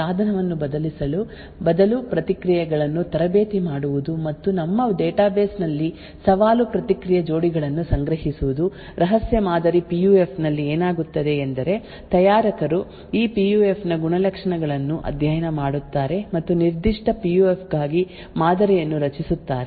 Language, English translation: Kannada, So what happens over here is at the time of manufacture instead of varying the device with different challenges of training the responses and storing the challenge response pairs in our database, what happens in a secret model PUF is that the manufacturer would study the properties of this PUF and create a model for that particular PUF